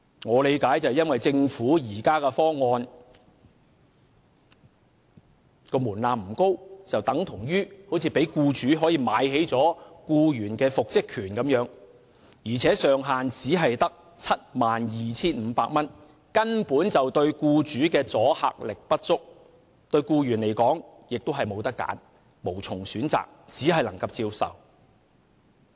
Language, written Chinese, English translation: Cantonese, 我的理解是，由於政府方案的門檻不高，等同讓僱主可"買起"僱員的復職權，而且上限只是 72,500 元，對僱主的阻嚇力不足，對僱員而言亦是無從選擇，只能接受。, My understanding is that as the threshold in the Governments proposal is not high it means that the employer would be able to buy up the employees right to reinstatement and with a cap of just 72,500 the sum to be paid would not serve as a sufficient deterrent to the employer and the employee would have no choice but to accept it